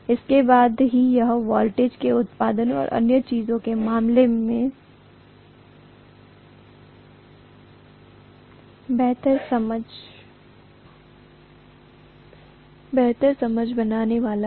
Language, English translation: Hindi, Only then it is going to make better sense in terms of voltage production and so on